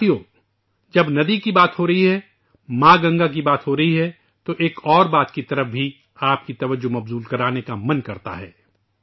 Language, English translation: Urdu, when one is referring to the river; when Mother Ganga is being talked about, one is tempted to draw your attention to another aspect